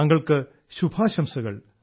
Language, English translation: Malayalam, I wish you all the best